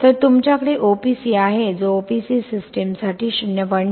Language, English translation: Marathi, So you have OPC which is 0